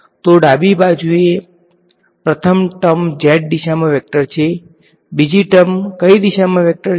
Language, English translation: Gujarati, So, the left hand side the first term is a vector in the z direction, second term is a vector in which direction